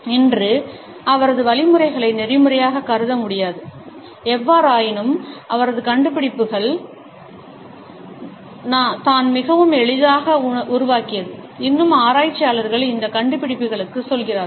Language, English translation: Tamil, His methods today cannot be considered ethical; however, it was his findings which created more on ease and is still researchers go back to these findings